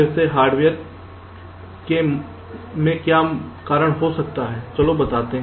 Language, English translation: Hindi, well, again, in terms of the hardware, what can be the reason